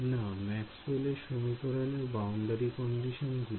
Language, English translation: Bengali, No the boundary conditions in Maxwell’s equations